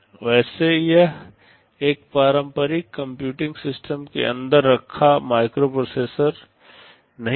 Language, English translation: Hindi, Well it is not a microprocessor sitting inside a traditional computing system